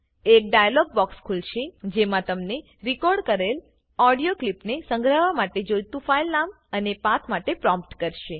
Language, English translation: Gujarati, A dialog box will open wherein you will be prompted to specify the filename and the path that you want the recorded audio clip to be saved in